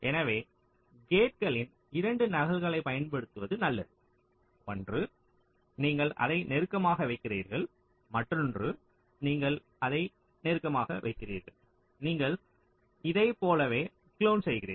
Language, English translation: Tamil, so better to use two copies of the gates, one you place closer to that, other you place closer to that ok, and you just clone like that